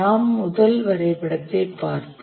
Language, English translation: Tamil, Let's look at our first diagram